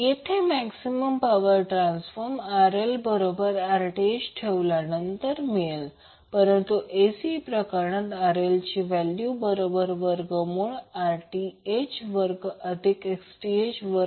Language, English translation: Marathi, So, in case of DC, the maximum power transfer was obtained by setting RL is equal to Rth, but in case of AC the value of RL would be equal to under root of Rth square plus Xth square